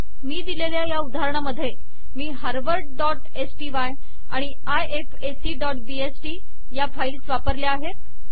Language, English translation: Marathi, In this example I used, Harvard.sty and ifac.bst files